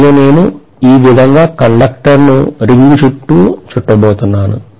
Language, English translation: Telugu, And I am going to probably wind the conductor like this